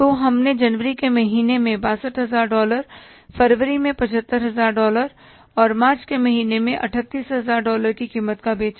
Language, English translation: Hindi, So we sold in the month of January for 62,000 worth of dollars, save 75,000 worth of dollars in Feb and 38,000 worth of dollars in the month of March